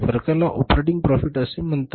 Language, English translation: Marathi, The difference is called as the operating profit